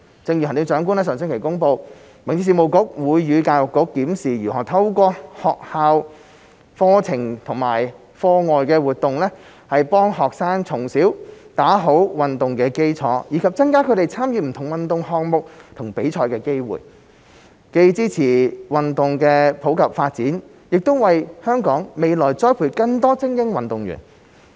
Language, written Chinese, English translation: Cantonese, 正如行政長官在上星期公布，民政局會與教育局檢視如何透過學校課程和課外活動，幫助學生從小打好運動的基礎，以及增加他們參與不同運動項目和比賽的機會，既支持運動普及發展，亦為香港未來栽培更多精英運動員。, As the Chief Executive announced last week HAB and the Education Bureau will review how to help students lay a solid foundation in sports from an early age through school curricula and extracurricular activities and how to increase their participation in different sports and competitions so as to support the promotion of sports in the community and cultivate more elite athletes for Hong Kong in the future